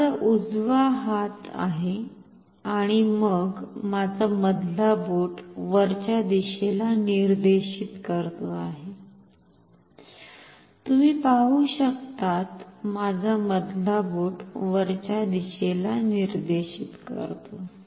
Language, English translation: Marathi, This is my right hand and then my middle finger is pointing upwards, as you can see my middle finger is pointing upwards